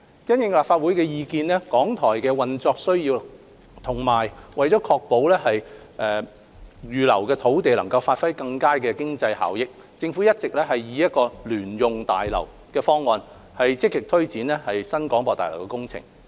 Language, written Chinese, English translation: Cantonese, 因應立法會的意見、港台的運作需要，以及為確保預留的土地能發揮更佳的經濟效益，政府一直以聯用大樓的方案積極推展新廣播大樓工程。, Having regard to the views of the Legislative Council operational needs of RTHK and the need to ensure that the reserved site would have better economic benefits the Government has been proactively taking forward the construction of the new BH on the basis of a joint - user building